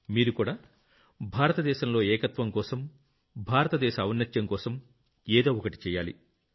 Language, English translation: Telugu, You too must do something for the unity of India, for the greatness of India